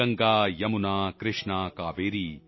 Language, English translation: Punjabi, Ganga, Yamuna, Krishna, Kaveri,